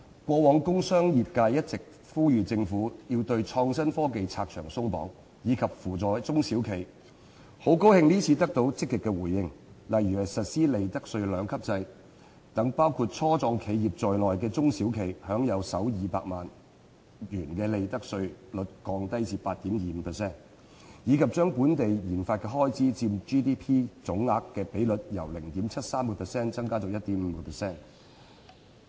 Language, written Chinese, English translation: Cantonese, 過往工商業界一直呼籲政府要對創新科技發展"拆牆鬆綁"，以及扶助中小企，很高興這次得到積極回應，例如實施利得稅兩級制，讓包括初創企業在內的中小企享用首200萬元的利得稅率低至 8.25%， 以及把本地研發總開支佔 GDP 的比率由 0.73% 增至 1.5%。, The industrial and commercial sectors have long been urging the Government to remove obstacles to facilitate the development of innovation and technology and to provide assistance to small and medium enterprises SMEs . We are pleased to receive a positive response this time around such as the implementation of a two - tier profits tax system which enables SMEs including start - ups to enjoy a profits tax rate of 8.25 % for the first 2 million of their profits and the increase of gross domestic expenditure on research and development as a percentage of our gross domestic product from 0.73 % to 1.5 %